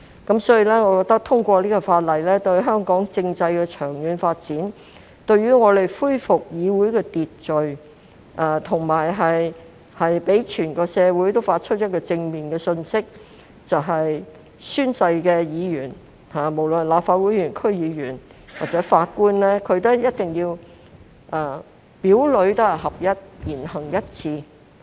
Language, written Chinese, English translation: Cantonese, 因此，我認為通過《條例草案》有利香港政制的長遠發展，有助恢復議會的秩序，並向整個社會發出一個正面信息，就是宣誓的議員，無論是立法會議員、區議員或法官，一定要表裏合一、言行一致。, Thus I think that the passage of the Bill will promote the long - term constitutional development of Hong Kong; facilitate the restoration of order in the legislature and send a positive message to the entire society that a member who takes an oath be it a Member of the Legislative Council or a DC member or a judge shall live up to hisher words and preach what heshe says